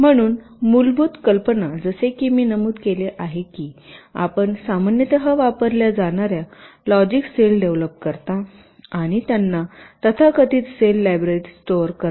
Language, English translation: Marathi, so, basic idea: as i have mentioned, you develop the commonly used logic cells and stored them in a so called cell library